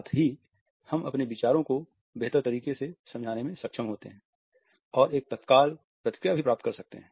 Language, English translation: Hindi, At the same time we are able to explain our ideas in a better way and get an immediate feedback also